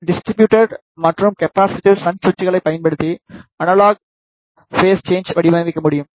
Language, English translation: Tamil, The analogue phase shifters can be designed using distributed and capacitive shunt switches